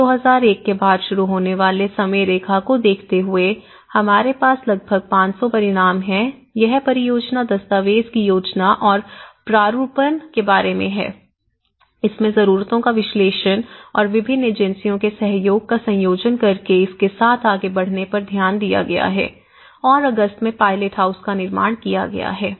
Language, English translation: Hindi, And looking at the timeline, we have about 500, what are the results starting from the 2001 from May onwards it is about the planning and drafting of the project document so it looked at analysing the needs, the combination of the cooperation of different agencies and how to go ahead with it and then in August somewhere, the construction of the pilothouse have been constructed